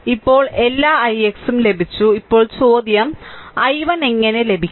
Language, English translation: Malayalam, Now only only thing that all I x is got now question is i 1 how to get i 1 right